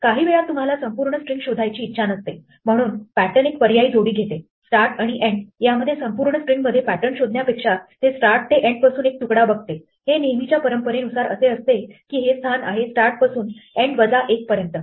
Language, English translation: Marathi, Sometimes you may not want to search entire string, so pattern takes an optional pair of argument start and end in which case instead of looking for the pattern from the entire string it looks at a slice from start to end with the usual convention that this is the position from start to end minus 1